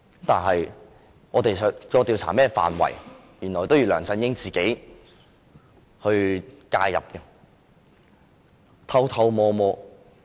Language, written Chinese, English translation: Cantonese, 但是，我們調查的範圍，原來梁振英要偷偷摸摸介入。, However it turned out that LEUNG Chun - ying wanted to interfere with the scope of our inquiry secretly